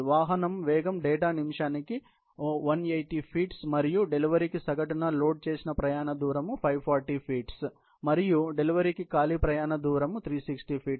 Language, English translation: Telugu, The vehicle speed data is 180 feet per minute and the average loaded travel distance per delivery is 540 feet, and the empty travel distance per delivery is 360 feet